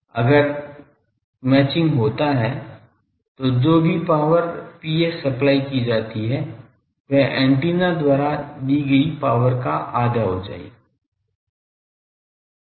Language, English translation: Hindi, If match Then the whatever power is supplied V s the P s that can come to the half of that can be delivered to the antenna